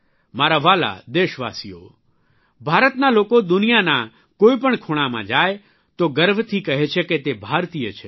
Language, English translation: Gujarati, My dear countrymen, when people of India visit any corner of the world, they proudly say that they are Indians